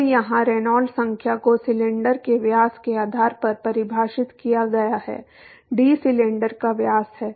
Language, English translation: Hindi, So, here the Reynolds number is defined based on the diameter of the cylinder, D is the diameter of the cylinder